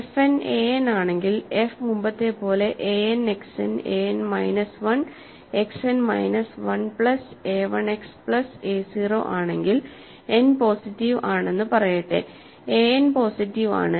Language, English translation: Malayalam, So, the remark is if f n is an, f is as before, a n, X n, a n minus 1, X n minus 1 plus a 1 X plus a 0 and let us say n is positive, a n is positive